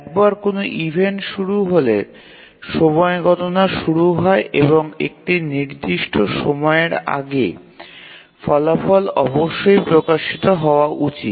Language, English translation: Bengali, So once an event occurs, then we start counting the time and we say that before certain time the result must be produced